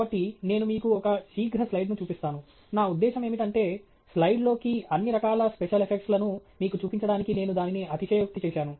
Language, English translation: Telugu, So, I will just show you one quick slide just to…I mean I have exaggerated it just to show you all sorts of special effects that can be thrown in into a slide